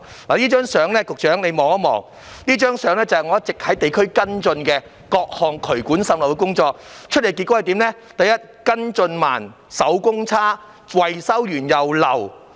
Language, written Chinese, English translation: Cantonese, 局長，請看看這張相片，這相片顯示我一直在地區跟進各項處理渠管滲漏的工作，得出的結果是跟進慢、手工差、維修後仍然滲漏。, Secretary please take a look at this photo . It shows that I have been keeping track of the work to address drainage pipe seepage in the district . Evidently the follow - up work progresses slowly the workmanship is poor and there is still seepage after repairs